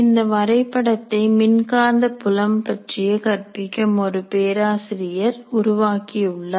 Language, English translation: Tamil, This is a map created by a professor who was teaching electromagnetic fields